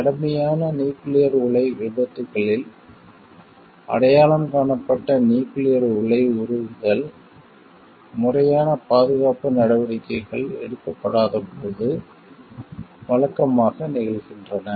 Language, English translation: Tamil, Reactor meltdowns which have been identified amongst the serious nuclear accidents, usually occurs when proper security measures are not taken